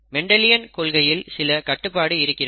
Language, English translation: Tamil, The Mendelian principles as we know have limitations